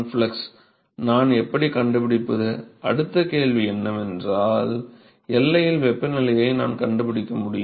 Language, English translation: Tamil, How do I find, the next question is, I need to find the temperature at the boundary